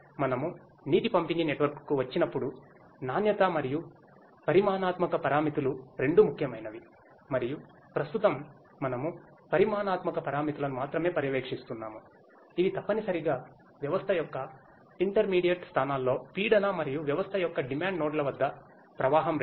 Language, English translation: Telugu, When we come to a water distribution network, both quality and quantitative parameters are important and right now we are monitoring only the quantitative parameters which are essentially the pressure at intermediate locations of the system and the flow rate at the demand nodes of the system